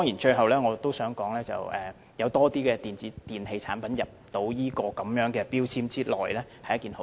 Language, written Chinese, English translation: Cantonese, 最後，我想說有更多電子電器產品納入強制性標籤計劃內是一件好事。, Finally I would like to say that including more electronic appliances in MEELS is a good thing